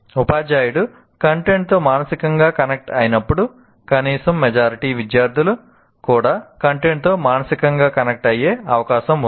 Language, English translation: Telugu, When the teacher is connected emotionally to the content, there is possibility, at least majority of the students also will get emotionally get connected to the content